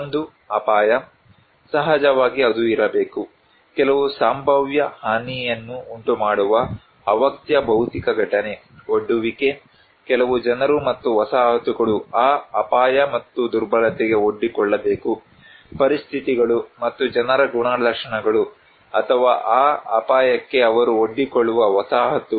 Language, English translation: Kannada, One is the hazard; of course, that should be there, a latent physical event that may cause some potential damage, also the exposure; some people and settlements should be exposed to that hazard, and the vulnerability; the conditions and the characteristics of the people or the settlements they are exposed to that hazard